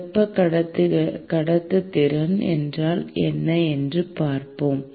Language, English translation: Tamil, Let us look at what is thermal conductivity